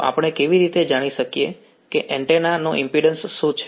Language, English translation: Gujarati, So, how do we know what is the impedance of the antenna